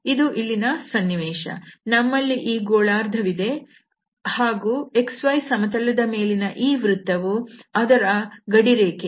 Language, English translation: Kannada, So, this is the situation here we have this hemisphere and its boundary is given by this circle here on the X Y plane